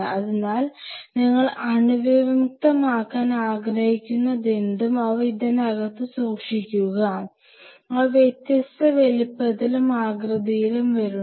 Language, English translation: Malayalam, So, whatever you want to sterilize you keep them inside the and they come in different size and shape mostly different size and shapes